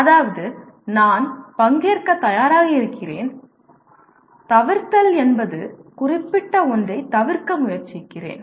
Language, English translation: Tamil, That is I am willing to participate whereas avoidance means I am trying to avoid that particular one